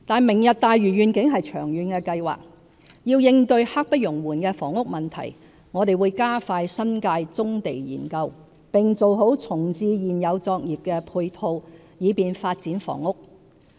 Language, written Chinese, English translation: Cantonese, "明日大嶼願景"是長遠規劃，要應對刻不容緩的房屋問題，我們會加快新界棕地研究，並做好重置現有作業的配套，以便發展房屋。, The Lantau Tomorrow Vision is a long - term planning . In order to address our pressing housing problem we will speed up the studies on brownfield sites in the New Territories and make necessary arrangements for reprovisioning existing operations to facilitate housing development